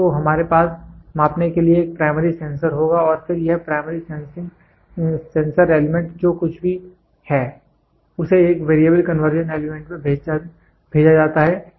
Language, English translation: Hindi, So, we will have a primary sensor to measure and then this primary sensor element whatever is there it then it is sent to a Variable Conversion Element